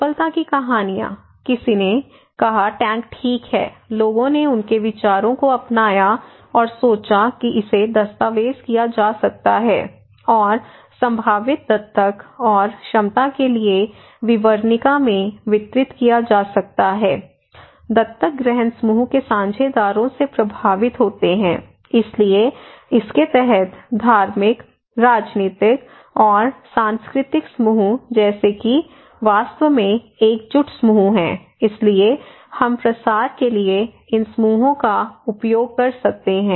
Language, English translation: Hindi, The success stories; someone's adopted their personal opinion of the tank okay, adopters and could be documented, and distributed in a brochure to potential adopters and potential adopters are affected by cohesive group partners, so under this like religious, political and cultural groups these are actually cohesive groups so, we can use these groups for dissemination